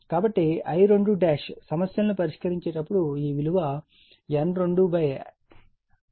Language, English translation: Telugu, So, I 2 dash when you solve the numerical it will be N 2 upon N 1 I 2 this we will do